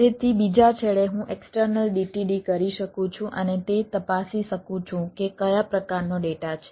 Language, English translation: Gujarati, so at the other end i can, i can do external d t d and check it, that what sort of data